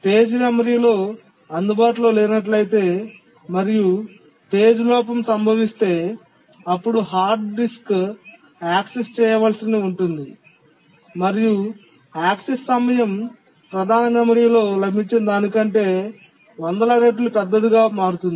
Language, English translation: Telugu, But if the page is not available on the memory and page fault occurs, then the hard disk needs to be accessed and the access time becomes hundreds of time larger than when it is available in the main memory